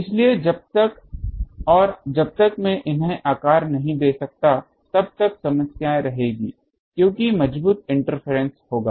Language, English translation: Hindi, So, unless and until I can shape these there will be problems because there will be strong interference